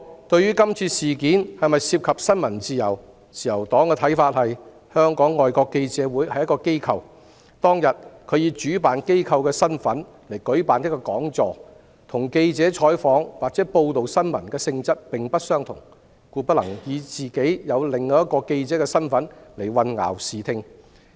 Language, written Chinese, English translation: Cantonese, 對於今次事件是否涉及新聞自由，自由黨的看法是，香港外國記者會作為一所機構，當日以主辦單位的身份舉辦一個講座，性質與記者採訪或報道新聞並不相同，故不能以其作為記者組織的身份而混淆視聽。, As to whether this incident is related to press freedom the Liberal Party is of the view that the nature of the seminar held by FCC as the host organization that day was not related to news coverage or news reporting . FCC should not confuse the public in its capacity of a trade organization of journalists